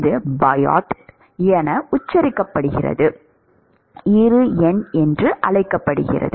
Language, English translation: Tamil, It is spelled as Biot, called the Bi number